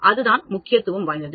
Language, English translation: Tamil, That is what it is significance